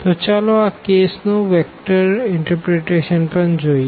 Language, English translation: Gujarati, So, let us look for the vector interpretation for this case as well